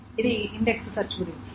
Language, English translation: Telugu, So, this is about the index search